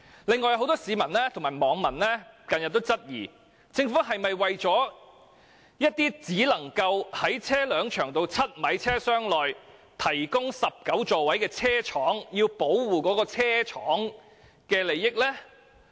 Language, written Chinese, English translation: Cantonese, 近日很多市民及網民均質疑，政府此舉是否想保護那些只能在車輛長度7米車廂內提供19座位的車廠的利益。, Recently many members of the public and netizens queried if the Governments act is to protect the interests of manufacturers of vehicles 7 m in length which can accommodate 19 seats